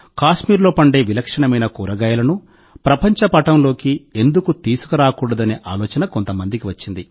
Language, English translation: Telugu, Some people got the idea… why not bring the exotic vegetables grown in Kashmir onto the world map